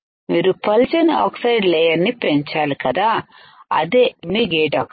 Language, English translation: Telugu, So, you have to grow thin layer of oxide right which is your gate oxide